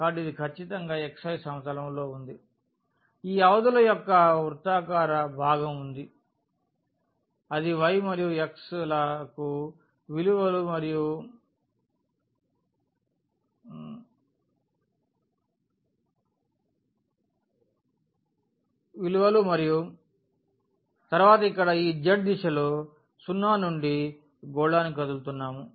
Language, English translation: Telugu, So, that is precisely in the xy plane what we have that is the values for this y and x that is a circle circular part of these limits and then here in the direction of this z we are moving from 0 to the sphere 0 to the sphere